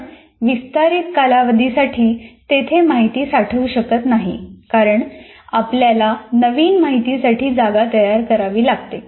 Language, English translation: Marathi, You cannot keep information for a long period because you have to make space for the new information to come in